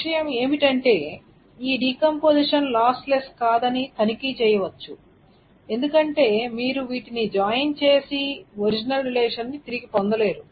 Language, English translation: Telugu, The point is one can check that this is definition, this decomposition is not lossless because if one joins this, then you do not get back the original relationship